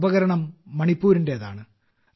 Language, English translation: Malayalam, This instrument has connections with Manipur